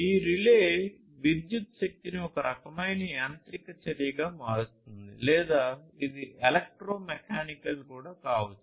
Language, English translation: Telugu, So, this relay what it does is it transforms the electrical energy into some kind of mechanical action, so or it could be electromechanical as well